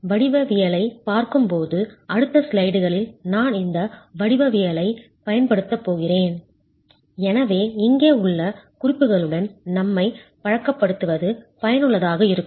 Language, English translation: Tamil, Looking at the geometry, I'm going to be using this geometry in the ensuing slides and therefore it is useful to familiarize ourselves with the notations here